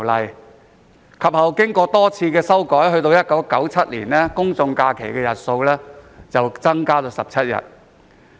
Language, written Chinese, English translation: Cantonese, 有關法例其後經過多次修訂，到了1997年，公眾假期日數增至17日。, This Ordinance has been revised several times since then and the number of general holidays was increased to 17 in 1997